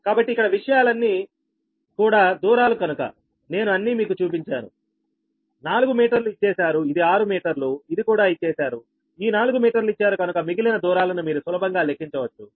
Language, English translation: Telugu, so all these distances here, all the things i have shown you all, four meter, four meter is given, this is six, meter is given this four meter is given